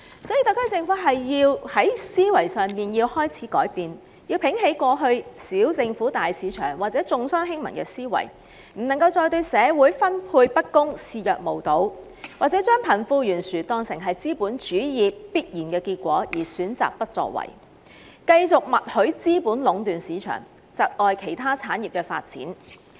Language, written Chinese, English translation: Cantonese, 因此，特區政府有必要改變思維，摒棄以往"小政府、大市場"或"重商輕民"的原則，不能再對社會資源分配不均視若無睹，或將貧富懸殊視為資本主義的必然結果而選擇不作為，繼續默許資本家壟斷市場，窒礙其他產業發展。, Hence it is necessary for the SAR Government to change its mindset and let go of the principle of small government big market or that of business comes before peoples well - being which it previously upheld . It should no longer turn a blind eye to the uneven distribution of social resources or considering the disparity between the rich and the poor an ineluctable consequence of capitalism choose not to act while continuing to acquiesce in the monopoly of the market by capitalists which will stifle the development of other local industries